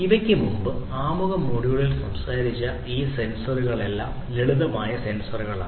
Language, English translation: Malayalam, So, all these sensors that we talked about in the introductory module before these are simple sensors